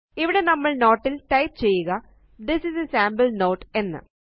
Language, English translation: Malayalam, Here we will type in a note This is a sample note